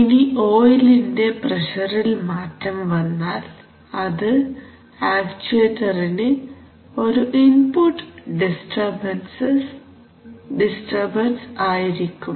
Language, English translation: Malayalam, Now if the pressure of the oil changes, that would be an input disturbance to the actuator